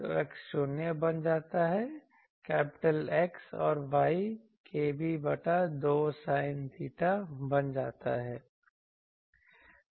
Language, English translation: Hindi, So, X becomes 0; capital X and Y becomes k b by 2 sin theta